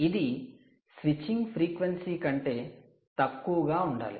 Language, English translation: Telugu, right, it should be below the switching frequency of this